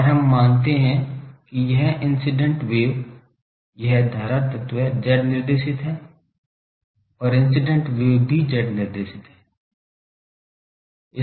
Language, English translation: Hindi, And we assume that this incident wave, this current element is Z directed and incident wave is also Z directed